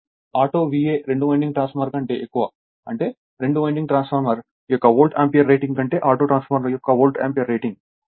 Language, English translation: Telugu, That means, V A auto is greater than your V A two winding transformer that is that is Volt ampere rating of the autotransformer greater than your Volt ampere rating of the two winding transformer right